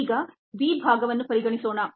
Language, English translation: Kannada, now let us consider part b